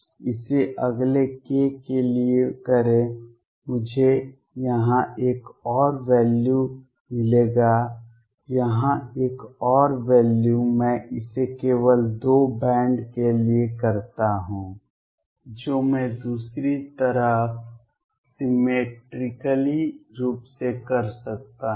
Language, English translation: Hindi, Do it for the next k I will get another value here another value here I just do it for 2 bands I can do symmetrically for the other side